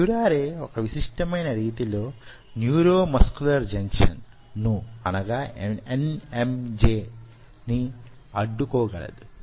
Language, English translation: Telugu, curare can block the neuromuscular junction in a very unique way